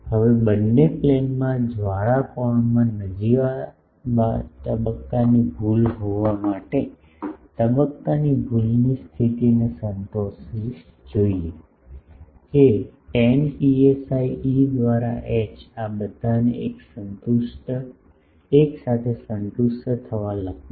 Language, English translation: Gujarati, Now, in order to have a negligible phase error in the flare angle in both plane should satisfy the phase error condition, that tan psi E for H I am writing to all this to be together satisfied